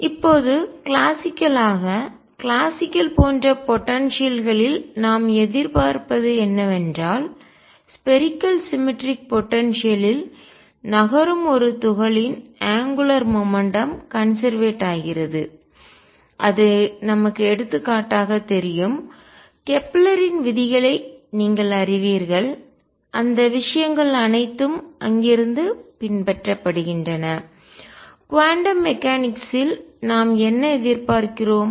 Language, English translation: Tamil, Now classically, classically what we expect in such potentials is that angular momentum of a particle moving in spherically symmetric potentials is conserved this is what we know for example, you know Kepler’s laws and all those things follow from there what do we expect in quantum mechanics